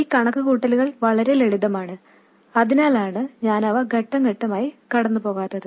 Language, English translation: Malayalam, These calculations are quite simple so that's why I'm not going through them step by step